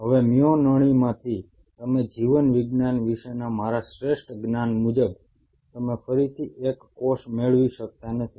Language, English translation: Gujarati, Now from a myotube you cannot again, as to the best of my knowledge about biology, you cannot again regain a single cell